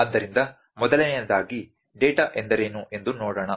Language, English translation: Kannada, So, first of all, let us see what is data